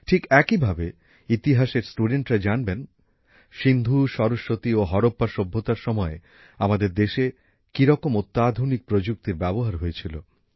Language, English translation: Bengali, Similarly, students of history would know, how much engineering was developed in India regarding water even during the IndusSaraswati and Harappan civilizations